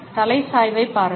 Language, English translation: Tamil, Look at the head tilt